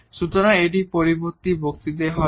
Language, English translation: Bengali, So, that will be in the next lecture